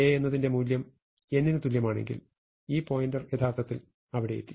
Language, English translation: Malayalam, If j is equal to n what it means is that, this pointer has actually reached all way there